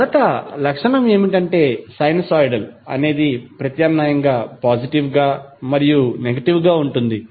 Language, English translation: Telugu, Because the first the characteristic is sinusoidal, it is alternatively going positive and negative